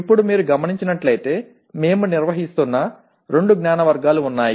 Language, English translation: Telugu, Now as you can see, there are two knowledge categories that we are dealing with